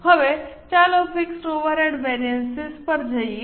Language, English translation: Gujarati, Now, let us go to fixed overhead variance